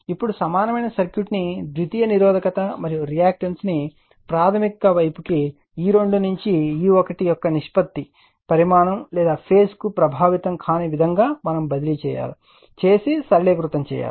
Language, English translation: Telugu, Now, the equivalent circuit can be simplified by transferring the secondary resistance and reactance is to the primary side in such a way that the ratio of of E 2 to E 1 is not affected to magnitude or phase